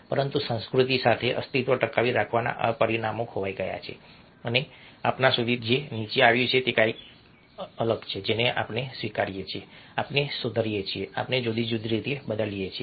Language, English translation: Gujarati, but this survival dimensions have been lost with civilization and what as come down to us is something which we, except we modify, we change in different ways